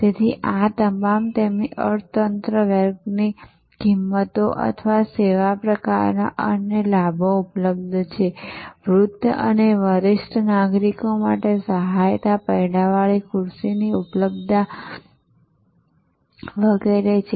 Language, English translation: Gujarati, So, these are all their economy class pricing or their service kind of other benefits available, check in time or assistance for aged and senior citizens, availability of wheelchair and so on